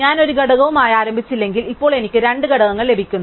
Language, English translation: Malayalam, So, if I started with one component, now I get two components